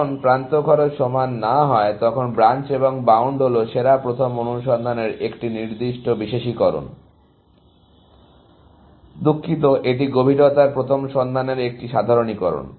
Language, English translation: Bengali, When the edge cost are not equal, then Branch and Bound is a specific specialization of best first search, sorry, it is a generalization of Depth first search